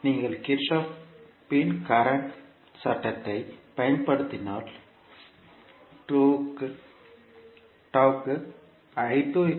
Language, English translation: Tamil, So if you apply Kirchhoff’s current law here